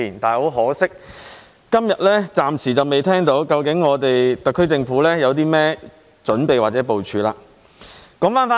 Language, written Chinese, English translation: Cantonese, 很可惜，我今天暫時仍未聽到特區政府有任何準備或部署。, Regrettably I have not yet heard from the SAR Government that it has made any preparations or plans today